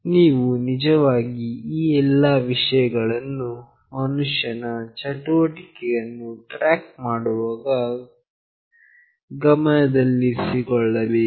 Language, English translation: Kannada, You can actually take all these things into consideration while tracking human activity